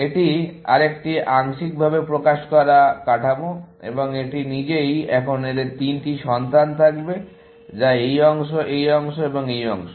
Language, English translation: Bengali, This is another partially elicited structure, and this itself, would have now, three children, which this part, this part and this part